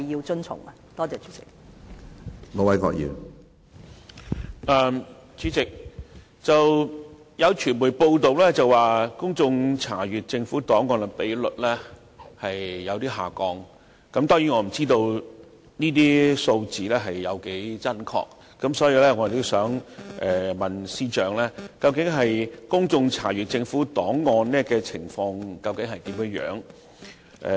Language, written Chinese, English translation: Cantonese, 主席，有傳媒報道公眾查閱政府檔案的比率有所下降，當然，我不知道這些數字的真確程度，所以，我想問問司長，究竟公眾查閱政府檔案的情況如何？, President there have been media reports about a decline in the percentage of public access to government records . Of course I do not know how accurate these figures are . In this connection I wish to ask the Chief Secretary about the situation of public access to government records